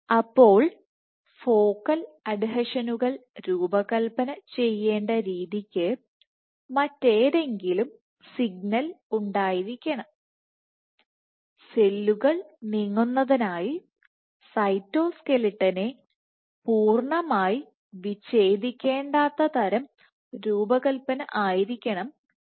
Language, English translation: Malayalam, So, there must be some other signal the way that focal adhesions must be designed must be such that so the design; must be such that cytoskeletal does not need to be fully dismantled as cells move ok